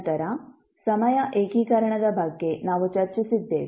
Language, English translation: Kannada, Then, we discussed about the time integration